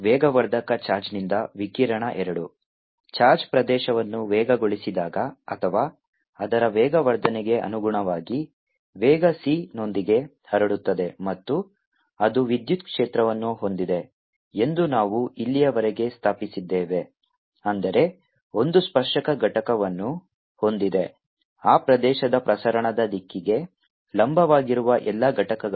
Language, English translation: Kannada, so far of we have established that one a charged accelerates the region or, corresponding to acceleration, propagates out with speed, see, and it has an electric field, that is, has a tangential component, all the components which perpendicular to direction of propagation of that region